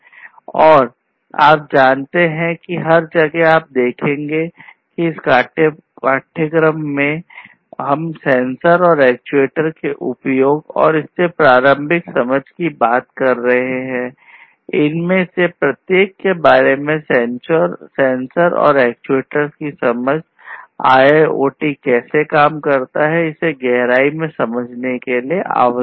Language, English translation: Hindi, And, you know, everywhere throughout you will see that in this course, we are talking about the use of sensors and actuators, and this preliminary understanding about each of these, the sensors and actuators, is necessary for you to have an in depth understanding about how IIoT works